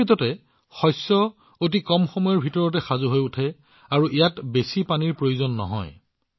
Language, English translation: Assamese, In fact, the crop gets ready in a very short time, and does not require much water either